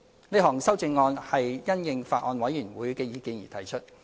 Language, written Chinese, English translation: Cantonese, 這項修正案是因應法案委員會的意見而提出。, The amendment is proposed in response to the views expressed by the Bills Committee